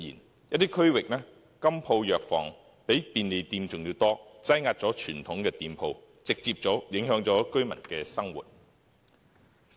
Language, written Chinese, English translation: Cantonese, 在一些地區，金鋪、藥房比便利店還要多，擠壓傳統店鋪，直接影響居民生活。, In some districts there were more goldsmith shops and drug stores than convenience stores . These shops drove away traditional shops which directly affected peoples daily lives